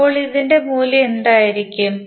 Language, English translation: Malayalam, So what would be the value of this